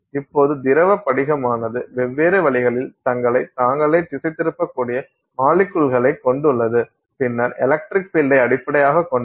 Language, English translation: Tamil, Now the liquid crystal consists of molecules which can orient themselves in different ways and then based on electric field